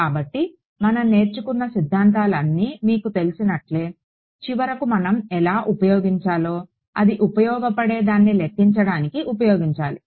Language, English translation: Telugu, So, that is like you know all the theory that we have learnt how do we finally, put it into used to calculate something it is useful ok